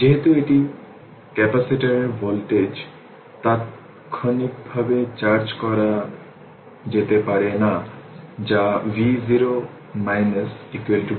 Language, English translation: Bengali, Since, the voltage of a capacitor cannot charge your change instantaneously that is v 0 minus is equal to v 0